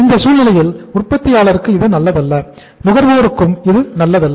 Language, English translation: Tamil, So in that case uh it is not good for the manufacturer, it is not good for the consumer also